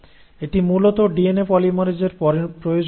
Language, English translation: Bengali, So basically this is a requirement of a DNA polymerase